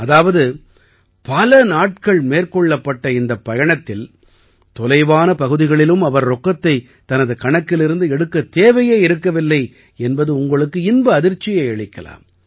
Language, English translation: Tamil, You will also be pleasantly surprised to know that in this journey of spanning several days, they did not need to withdraw cash even in remote areas